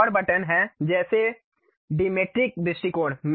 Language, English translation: Hindi, There is one more button like Dimetric views